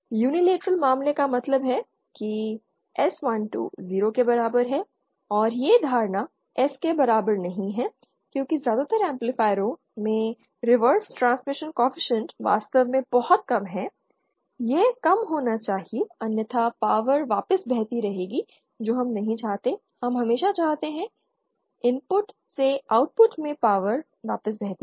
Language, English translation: Hindi, Unilateral case means S12 is equal to 0 and this assumption is not that par to S because most amplifiers the reverse transmission coefficient is indeed very low it has to be low otherwise power will keep flowing back we don’t want that we want power to always flow from input to Output